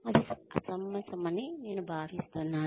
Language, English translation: Telugu, That, I think would be unreasonable